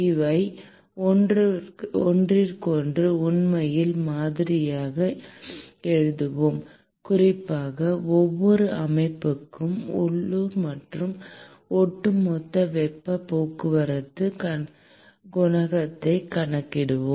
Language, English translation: Tamil, We will actually write models for each of these, and particularly, we will compute the local and the overall heat transport coefficient for each of the systems